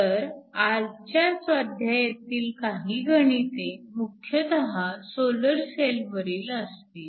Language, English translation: Marathi, So, some of the assignment problems here will mostly deal with solar cells